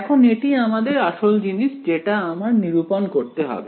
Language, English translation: Bengali, Now this is the main thing that I want to calculate